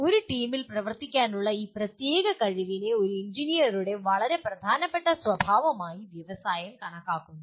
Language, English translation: Malayalam, Industry considers this particular ability to work in a team as one of the very very important characteristic of an engineer